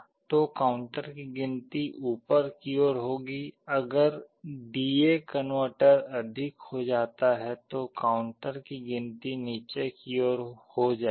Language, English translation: Hindi, So, the counter will be counting up, if D/A converter become greater the counter will be counting down